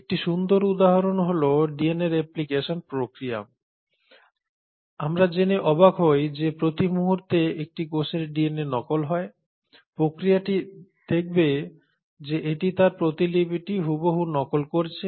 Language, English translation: Bengali, A classic example is the process of DNA replication; we will be astonished to know that every time a cellÕs DNA duplicates, the process will see to it that it duplicates its copy exactly